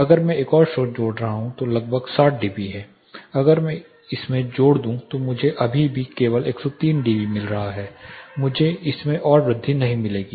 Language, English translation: Hindi, If I am adding another source which is about say 60 dB and turning on another source which is 60 dB if I further add this to this I will still be getting only 103 dB I will not be finding further increase to it